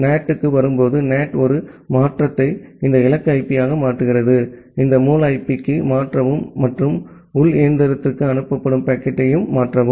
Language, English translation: Tamil, When it comes to NAT, then the NAT makes an change makes this destination IP, change to this source IP and the packet as forwarded to the internal machine